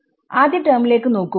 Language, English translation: Malayalam, What happens to the first term